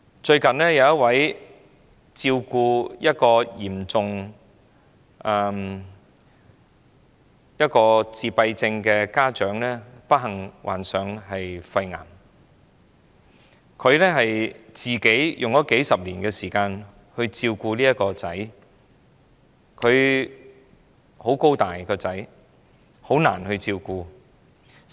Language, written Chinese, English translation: Cantonese, 最近有一位照顧嚴重自閉症兒子的家長不幸患上肺癌，他花了數十年光陰照顧這兒子，他長得很高大，很難照顧。, A parent who has been taking care of his son with severe autism was unfortunately diagnosed with lung cancer lately and he has spent decades of efforts in taking care of his son who is a big guy which makes the caring job more difficult